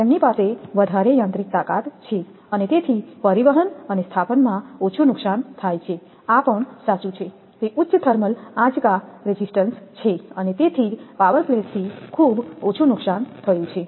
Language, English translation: Gujarati, They possess greater mechanical strength and therefore there is less breakage in transport and installation this is also true, they have high thermal shock resistance and therefore damage from power flash over is very much reduced